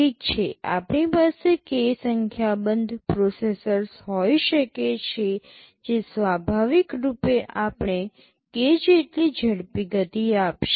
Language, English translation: Gujarati, Well, we can have k number of processors naturally we will be getting k times speed up